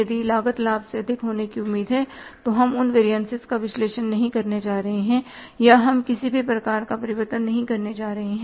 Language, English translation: Hindi, If the cost is expected to be more than the benefit then we are not going to analyze those variances or we are not going to do any kind of the variance